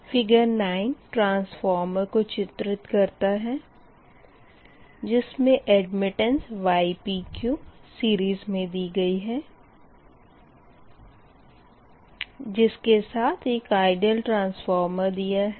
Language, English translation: Hindi, this figure nine shows ah, a transformer, with admittance ypq, in series with an ideal transformer